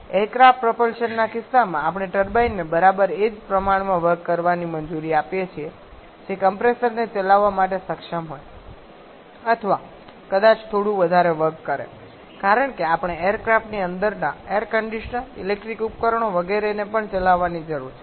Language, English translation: Gujarati, In case of aircraft propulsion, we allow the turbine to produce exactly the same amount of work which is able to run the compressor or maybe slightly higher amount of work because we also need to run the air conditioners inside the aircraft the electrical appliances etc